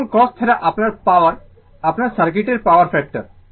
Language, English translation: Bengali, And cos theta is your power your power factor of the circuit